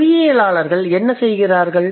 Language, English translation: Tamil, So, what do the linguists do